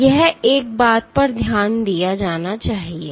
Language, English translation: Hindi, So, this is one thing to be noted